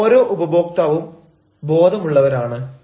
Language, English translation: Malayalam, you know, every customer nowadays is very conscious